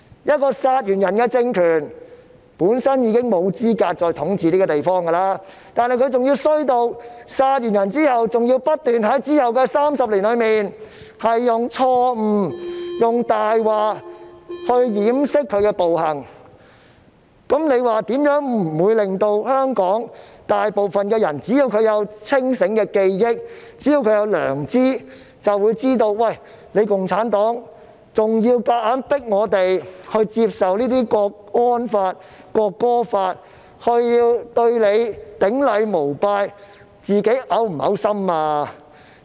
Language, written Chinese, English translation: Cantonese, 一個殺人政權本身已經沒有資格再統治這個地方，但它竟惡劣到在殺人後，還要在之後的30年間不斷以錯誤和謊言來掩飾其暴行，試問這怎會不使大部分香港人——只要他們有清醒的記憶和良知——都認為共產黨現時還想強迫我們接受港區國安法和《國歌法》，從而對它頂禮膜拜，它會否感到嘔心呢？, A ruling authority that killed people is not qualified for ruling this place . Worse still in the 30 years after the killing it keeps resorting to wrongdoings and lies to cover up its violent acts . How would not a majority of the people of Hong Kong―provided that their memory and conscience remain sober―consider that CPC is now forcing us to accept the Hong Kong national security law and the National Anthem Law so that we will bow in worship before it?